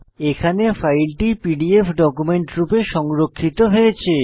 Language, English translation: Bengali, Here we can see the file is saved as a PDF document